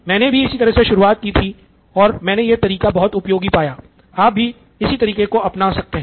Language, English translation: Hindi, So that is I went through it and I found it to be very useful, you can do it the same way as well